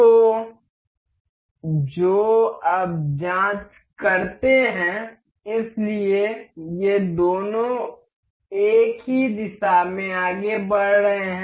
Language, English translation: Hindi, So, now, which now check now; so, both are both of these are moving in the same direction